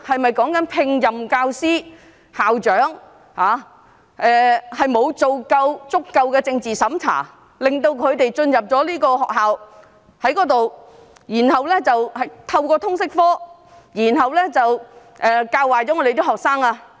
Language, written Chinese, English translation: Cantonese, 是否指聘請教師或校長時沒有進行足夠的政治審查，讓他們進入學校，透過通識科教壞學生？, Does it mean that not enough political censorship was conducted during the recruitment of teachers or headmasters thus allowing them to infiltrate into schools and poison students through LS?